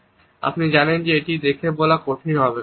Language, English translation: Bengali, But you know that is going to be hard to tell by looking